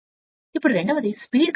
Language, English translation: Telugu, Now, second is speed current characteristic